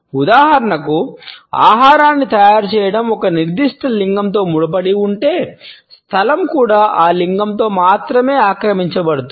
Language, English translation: Telugu, For example, if the preparation of food is linked with a particular gender the space is also occupied by that gender only